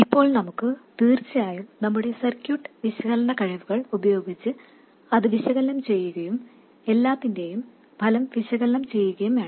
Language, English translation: Malayalam, Now we have to of course go and analyze this, use our circuit analysis skills and analyze the effect of everything